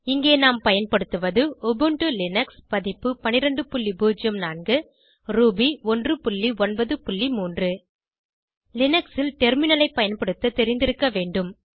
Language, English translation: Tamil, Types of variables Here we are using Ubuntu Linux version 12.04 Ruby 1.9.3 To follow this tutorial you must have the knowledge of using Terminal in Linux